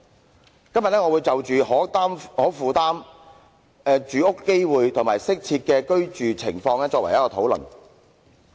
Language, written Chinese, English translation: Cantonese, 我今天將會就可負擔、公平住屋機會及適合居住進行討論。, Today I will elaborate on affordability accessibility and habitability